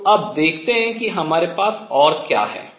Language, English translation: Hindi, So now, let us see what apart we have